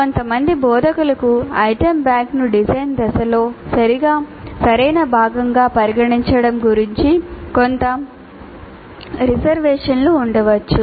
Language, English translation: Telugu, Some instructors may have some reservations about considering the item bank as a proper part of the design phase